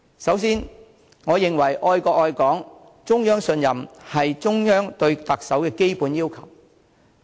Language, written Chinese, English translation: Cantonese, 首先，我認為愛國愛港、中央信任是中央對特首的基本要求。, To begin with I think love for the country and Hong Kong and also the trust of the Central Authorities must be the basic requirements for the Chief Executive